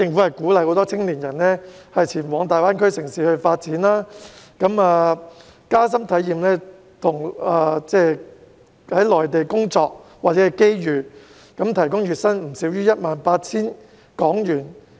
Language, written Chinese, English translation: Cantonese, 為鼓勵青年人前往大灣區城市發展，加深體驗內地的工作或機遇，特區政府提供了 2,000 個月薪不少於 18,000 港元的職位。, To encourage young people to pursue their careers in GBA cities and acquire a deeper understanding of the career prospects or opportunities in the Mainland the SAR Government has offered 2 000 posts with a monthly salary of not less than HK18,000